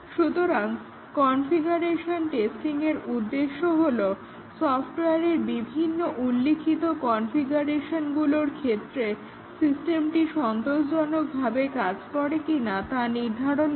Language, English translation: Bengali, So, the objective of this testing, configuration testing is that does the system work satisfactorily for the various specified configurations of the software